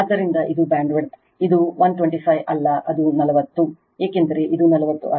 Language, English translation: Kannada, So, this is the bandwidth this is not 125, this is 40, because you got this is 40